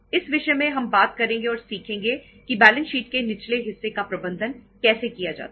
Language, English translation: Hindi, We are going to talk about the, in this subject we are going to learn how to manage the lower part of the balance sheet